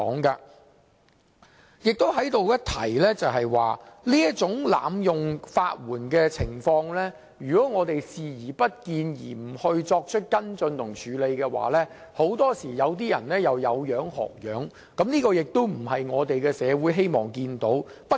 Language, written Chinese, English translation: Cantonese, 在這裏值得一提的是，如果我們對這種濫用法援的情況視而不見，不作跟進和處理，很多時便會有人仿效，而這不是社會希望看到的。, It is worth mentioning here that if we turn a blind eye to such abuse of legal aid and take no follow - up actions to address the issue more often than not people will follow suit . Society does not wish to see this